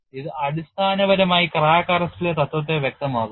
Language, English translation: Malayalam, This basically illustrates the principle in crack arrest